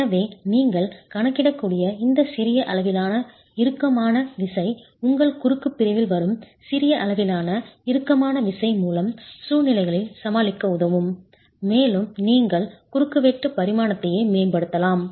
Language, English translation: Tamil, So this small amount of tension that you can account for can help you overcome situations where small amount of tension is coming into your cross section and you can optimize the cross section dimension itself